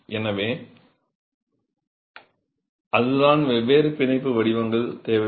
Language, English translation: Tamil, So, that is really what necessitated different bond patterns